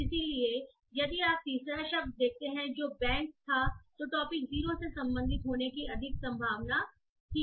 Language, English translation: Hindi, So both the terms which are like bank and water, both the terms are more likely to belong to topic zero